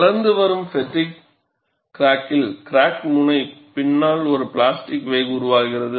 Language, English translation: Tamil, In a growing fatigue crack, behind the crack tip, a plastic wake is developed